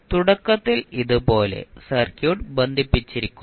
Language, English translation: Malayalam, Initially it is like this, the circuit is connected